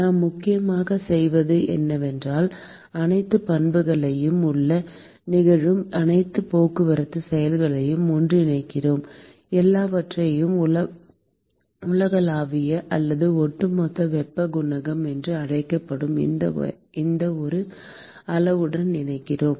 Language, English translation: Tamil, And what we are doing essentially is, we are lumping all the properties, all the transport processes which are occurring inside, everything is lumped into these one quantity called universal or overall heat coefficient